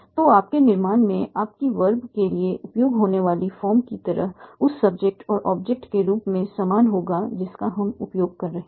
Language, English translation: Hindi, So like the form that used for your verb in your construction will be similar to the form of the subject and object that you are using